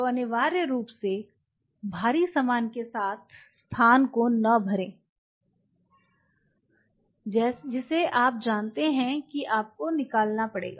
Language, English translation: Hindi, So, do not unnecessarily cover of the space with bulky stuff which you know you have to remove